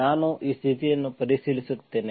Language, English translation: Kannada, I check this condition